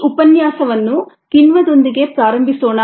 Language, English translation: Kannada, let us begin this lecture with enzymes